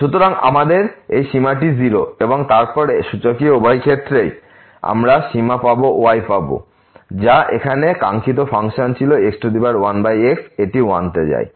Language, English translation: Bengali, So, we have this limit is 0 and then taking this exponential both the sides we will get the limit which was the desired function here power 1 over it goes to 1